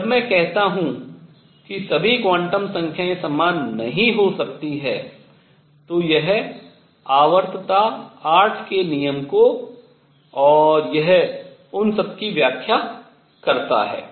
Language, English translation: Hindi, And when I add that not all quantum numbers can be the same, it explains the periodicity the rule of 8 and all that